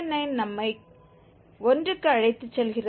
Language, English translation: Tamil, 9 is taking us to the 1